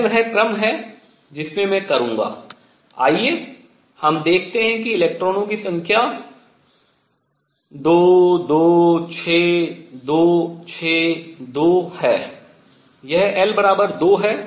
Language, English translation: Hindi, This is the order in which I will let us see the number of electrons 2, 2, 6, 2, 6, 2 this is l equals 2